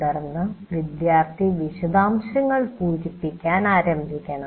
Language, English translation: Malayalam, But then the student has to start filling in the details